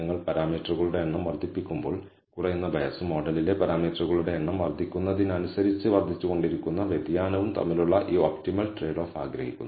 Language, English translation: Malayalam, So, want this optimal trade o between the bias which keeps reducing as you increase the number of parameters and the variance which keeps increasing as the number of parameters in the model increases